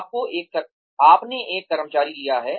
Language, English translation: Hindi, You have taken an employee